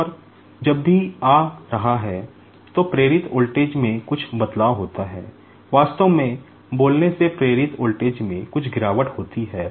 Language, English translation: Hindi, And whenever it is coming, there is some change in induced voltage, truly speaking there is some drop in induced voltage